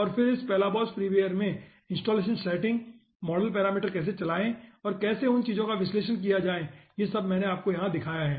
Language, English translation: Hindi, and then in this balabos free wire we have shown from installation setting the model parameter, how to run and how to analysis the results, those things we have shown you over here